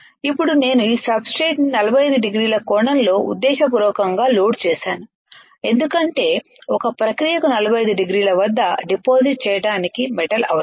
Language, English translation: Telugu, Now I have deliberately loaded this substrate at 45 degree angle, because one process needed the metal to get deposited at 45 degree